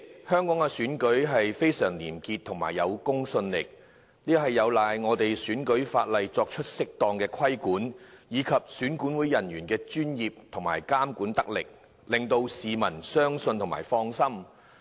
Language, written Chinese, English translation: Cantonese, 香港的選舉非常廉潔而有公信力，這有賴本港的選舉法例作出適當的規管，以及選舉管理委員會人員的專業精神，監管得力，令到市民放心。, Elections in Hong Kong are clean and highly credible . This is attributable to the appropriate regulation under the electoral legislation of Hong Kong and the professionalism and effective monitoring of the Electoral Affairs Commission EAC staff . The public is thus at ease